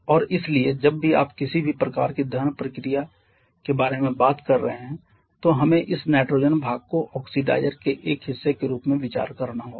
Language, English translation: Hindi, And therefore whenever you are talking about any kind of combustion reaction we have to consider this nitrogen part as a part of the oxidizer